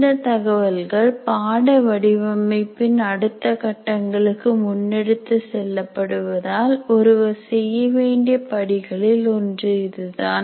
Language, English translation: Tamil, So, this is one of the steps that one needs to do because this information we are going to carry forward to the later phases of course design